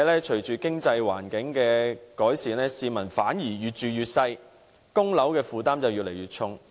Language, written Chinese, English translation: Cantonese, 隨着經濟環境改善，市民的居住面積反而越來越細，供樓負擔卻越來越重。, Even though our economic environment has improved the peoples living space is shrinking while their burden of mortgage payment is on the increase